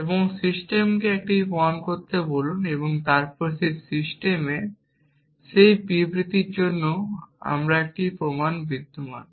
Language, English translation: Bengali, And ask the system to prove it then there exists a proof for that statement in that system essentially